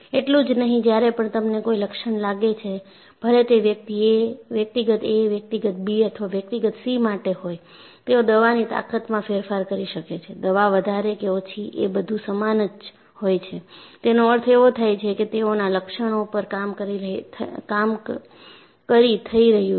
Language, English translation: Gujarati, Not only that, when you have a symptom, whether it is for individual a, individual b, or individual c, they may change the strength of the medicine, but the medicine will be more or less the same; that means, they are operating on symptoms